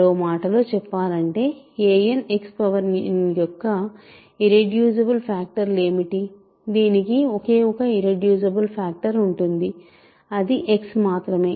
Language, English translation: Telugu, In other words, what are the irreducible factors of another way of saying this is irreducible factors of a n, X power n are there is only one irreducible factor namely X, right